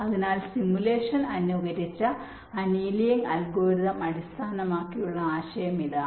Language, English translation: Malayalam, so this is the basis idea behind the simulation, simulated annealing algorithm